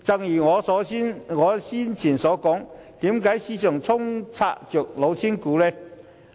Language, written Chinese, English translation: Cantonese, 不過，正如我早前所說，市場充斥着"老千股"。, However as I said earlier the market is flooded with cheating shares